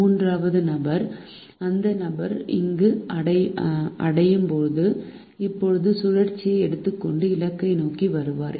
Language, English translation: Tamil, for the third person, when the person reaches there, will now take the cycle and come towards the destination